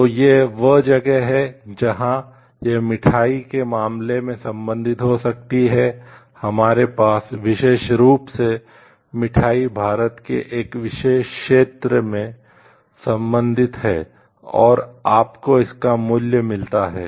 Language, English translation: Hindi, So, this is where it may be related like to; like in case of sweets we have the particular sweet belongs to a particular region of India, and you get it is value from that